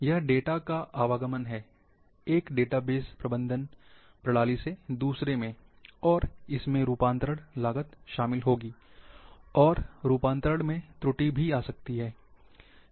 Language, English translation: Hindi, This is transportation of data, from one database management system, to another, again will involve cost conversions, and conversions might bring errors